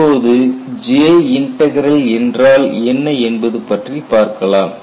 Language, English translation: Tamil, And what is the J Integral